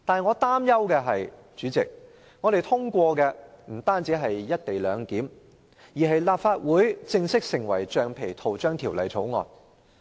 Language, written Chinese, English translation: Cantonese, 我擔憂的是，今次通過的不止是有關"一地兩檢"的《條例草案》，而是"立法會正式成為橡皮圖章條例草案"。, My concern is that what will be passed this time is not just a bill pertaining to the co - location arrangement but a bill on the Legislative Council officially becoming a rubber stamp